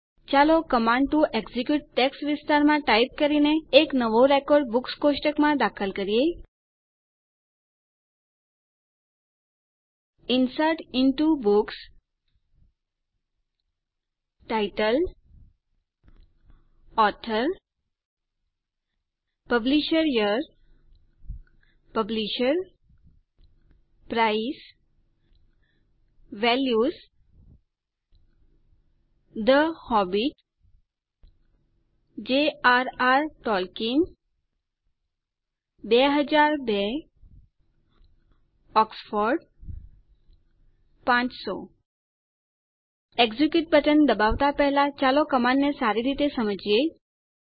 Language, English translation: Gujarati, Let us insert a new record into the Books table by typing, in the Command to execute text area: INSERT INTO Books ( Title, Author, PublishYear, Publisher, Price) VALUES (The Hobbit, J.R.R Tolkien, 2002, Oxford, 500) Before clicking on the Execute button, let us look at the command closely now